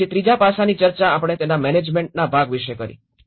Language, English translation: Gujarati, Then the third aspect is we discussed about the management part of it